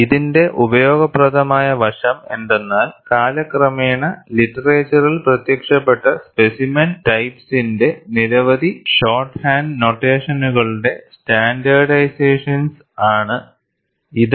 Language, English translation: Malayalam, Useful aspect of it is its standardization of the myriad of shorthand notations for specimen types that have appeared in the literature over time